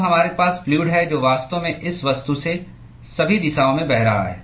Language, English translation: Hindi, Now we have fluid which is actually flowing past this object on all directions